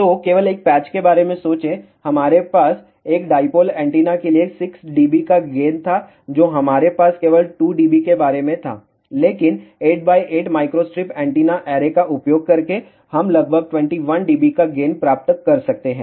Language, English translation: Hindi, So, just think about for a single patch we had a gain of 6 d B for a dipole antenna we had gain of only about 2 dB, but by using an 8 by 8 microstrip antenna array we can obtain a gain of about 21 d B